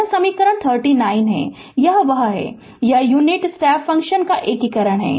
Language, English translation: Hindi, This is equation 39, this is that your what you call; it is integration of the unit step function